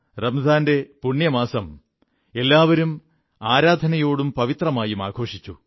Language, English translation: Malayalam, The holy month of Ramzan is observed all across, in prayer with piety